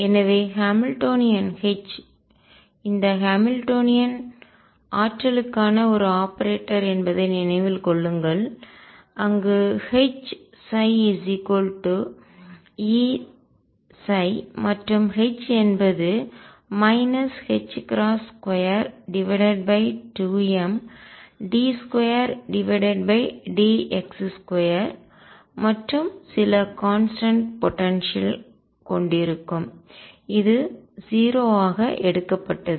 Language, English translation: Tamil, And therefore, the Hamiltonian H recall this Hamiltonian is an operator for energy where H psi equals E psi and H is going to be minus h cross square over 2 m d 2 over d x square plus, some constant potential which have taken to be 0